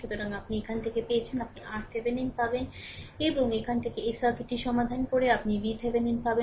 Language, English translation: Bengali, So, you have from here, you will get R Thevenin and from here solving this circuit, you will get V Thevenin